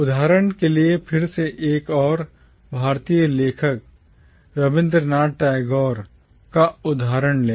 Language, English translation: Hindi, Take for instance again the example of another Indian author Rabindranath Tagore